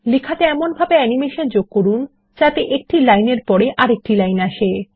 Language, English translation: Bengali, Animate the text so that the text appears line by line